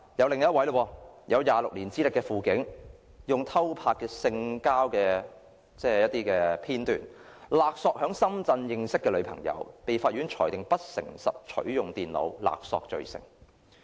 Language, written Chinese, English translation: Cantonese, 另一位有26年資歷的輔警，用偷拍的性交片段勒索在深圳認識的女朋友，被法院裁定不誠實取用電腦，勒索罪成。, An auxiliary policeman with 26 years of service under his belt blackmailed his girlfriend who he had met in Shenzhen with sex video clips he has secretly filmed . He was convicted by the Court of access to computer with criminal or dishonest intent and blackmail